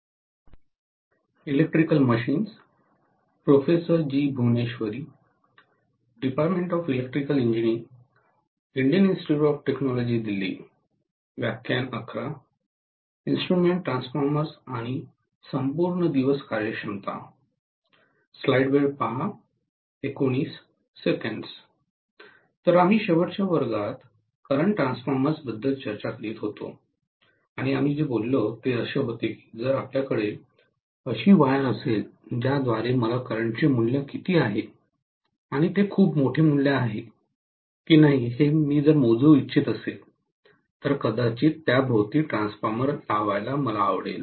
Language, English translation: Marathi, So, we were discussing current transformers in the last class and what we actually said was that if we are having a wire like this through which I want to measure actually what is the value of current and because it is a very large value, I might like to put a transformer around it